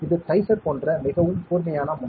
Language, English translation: Tamil, It is a very sharp tip like dicer